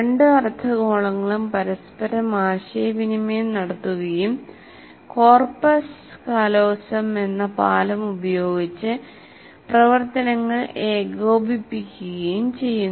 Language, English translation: Malayalam, The two hemispheres communicate with each other and coordinate activities using a bridge called corpus callosum